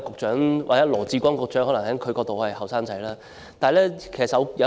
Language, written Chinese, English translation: Cantonese, 從羅致光局長的角度，我可能仍然是年青人。, From the perspective of Secretary Dr LAW Chi - kwong I may still be considered a youngster